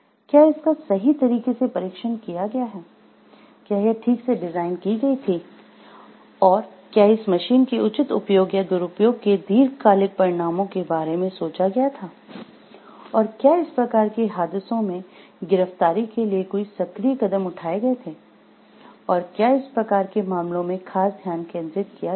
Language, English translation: Hindi, Whether it has been tested properly, whether it has been designed properly, and whether the long term consequences of the proper use or misuse of the this machine was thought of; and proactive measures were taken to arrest for these type of accidents and harms were taken or not becomes a point of focus in this type of case